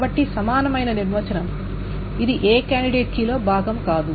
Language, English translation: Telugu, So the equivalent definition, it is not a member of any candidate key